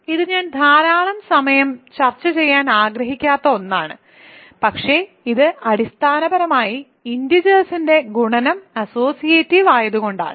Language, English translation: Malayalam, So, this is something I won’t to spend a lot of time discussing, but this is basically because multiplication of integers is associative